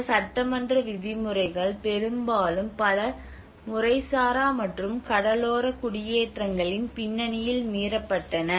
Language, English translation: Tamil, So many of these legislative norms were often violated in the context of informal and coastal settlements